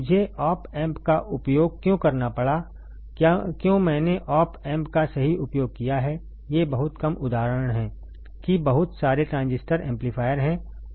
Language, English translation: Hindi, Why I have had to use op amp, why I have use op amp right, these are just few examples there are lot transistor amplifiers